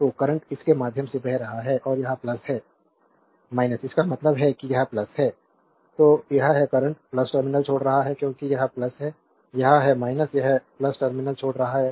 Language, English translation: Hindi, So, current is flowing through this and this is plus minus means this is plus, this is minus right therefore, that current is leaving the plus terminal because this is plus, this is minus it leaving the plus terminal